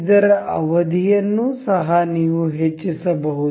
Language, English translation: Kannada, You can also increase the duration for this